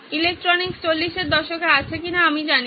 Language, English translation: Bengali, I do not know if electronics is around in the 40’s